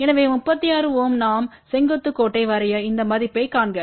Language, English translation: Tamil, So, corresponding to 36 ohm we draw a vertical line see this value